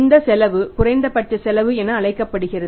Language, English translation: Tamil, This cost is minimum cost